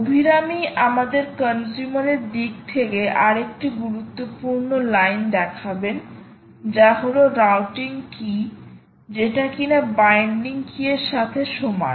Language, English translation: Bengali, abhirami points us to another important line in the, in this consumer side, which corresponds to the routing key, equal to the binding key